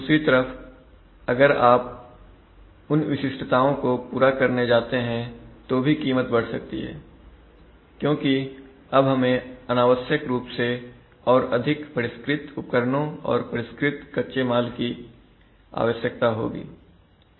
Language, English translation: Hindi, On the other hand if you try to do, try to over satisfy then also cost may go up because we may unnecessarily require more sophisticated equipment and or more refined raw material